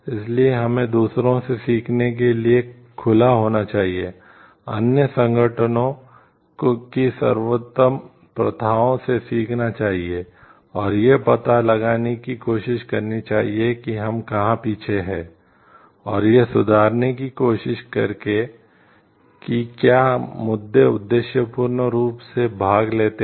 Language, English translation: Hindi, So, we should be open to learn from others we should be open to learn from the best practices of other organization and, try to find out, where we are behind and try to improve what that issues participate objectively